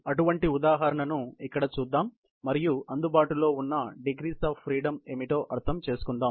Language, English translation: Telugu, Let us look at such a example here, and understand what are the kinds of degrees of freedom, which are available